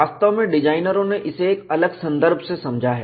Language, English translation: Hindi, In fact, designers have understood it from a different context